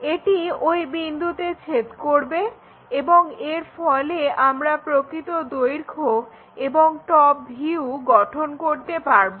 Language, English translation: Bengali, So, that is going to intersect at that point and we will be in a position to construct true length and the top view